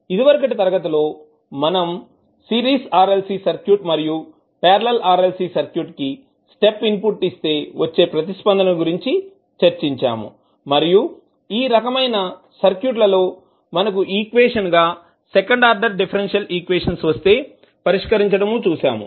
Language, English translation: Telugu, So, in the last class we were discussing about the step response of series RLC circuit and the parallel RLC circuit and we saw that when we solve these type of circuits we get second order differential equation as a equation to solve